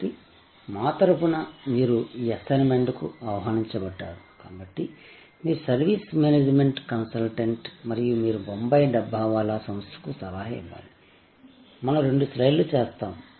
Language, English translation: Telugu, So, on behalf, you are invited to this assignment therefore, you are a service management consultant and you are to advice the Bombay Dabbawala organization, we do two slides